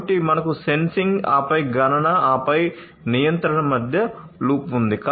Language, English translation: Telugu, So, you have a loop between sensing then computation and then control